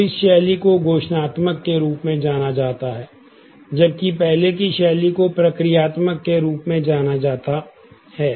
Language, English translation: Hindi, So, this style is known as declarative whereas, the earlier style is known as procedure